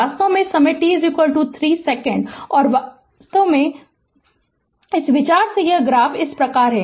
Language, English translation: Hindi, Actually at time t is equal to 3 second and actually idea is like this, this graph is like this